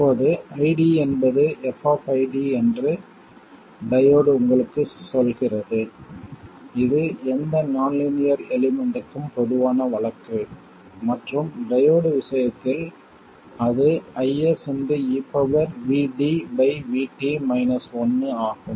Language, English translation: Tamil, Now, the diode itself tells you that ID is F of VD, this is the general case for any nonlinear element and in case of the diode it is i